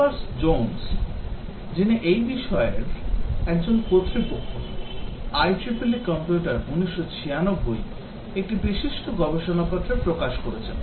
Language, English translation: Bengali, Capers Jones, who is an authority in this area, published a landmark paper, IEEE Computer 1996